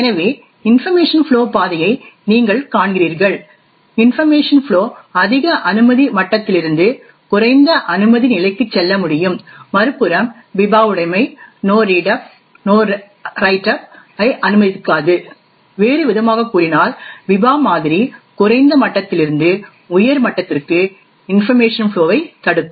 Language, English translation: Tamil, So you see the path of information flow, information flow can go from a higher clearance level to a lower clearance level on the other hand what the Biba property does not permit is the no read up and the no write up, in other words the Biba model would prevent information flow from a lower level to a higher level